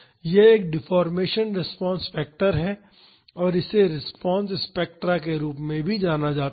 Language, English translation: Hindi, This is a deformation response factor and this is also known as response spectra